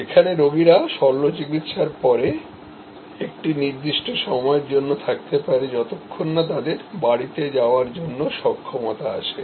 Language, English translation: Bengali, The patients could be in house for a certain time after surgery till they were well enough to be discharged to go home